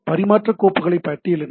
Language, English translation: Tamil, List files available for transfer